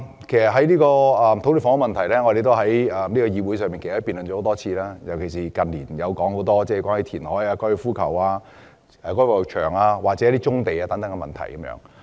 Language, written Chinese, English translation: Cantonese, 其實，土地及房屋問題，我們在這個議會已經辯論多次，近年更是多番討論填海、收回高爾夫球場、發展棕地等選項。, Land and housing problems have indeed been discussed for many times in this Council . In recent years we have also repeatedly discussed a number of options such as reclamation resumption of golf course site and development of brownfield sites